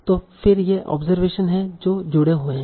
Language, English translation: Hindi, So again, these are observations that are connected